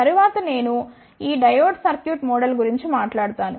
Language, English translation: Telugu, Next, I will talk about this diode circuit model